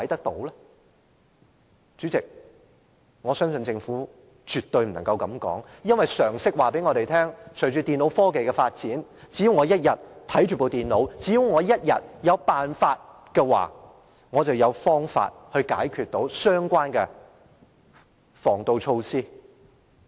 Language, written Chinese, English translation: Cantonese, 代理主席，我相信政府絕不可以這樣說。因為常識告訴我們，隨着電腦科技發展，只要我一天擁有這些電腦，只要我一天有辦法，我便可以解除相關防盜措施。, Deputy President I am sure the Government could never say so because it is common knowledge that with the advancement in computer technology as long as they are still having these computers at their hands a method will eventually be available someday to deactivate the anti - theft system